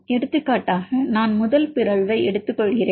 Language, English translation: Tamil, So, for example, I take the first mutation